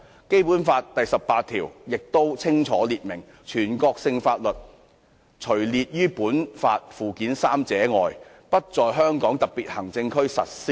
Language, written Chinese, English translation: Cantonese, 《基本法》第十八條清楚訂明，"全國性法律除列於本法附件三者外，不在香港特別行政區實施"。, Article 18 of the Basic Law clearly stipulates that [n]ational laws shall not be applied in the Hong Kong Special Administrative Region except for those listed in Annex III to this Law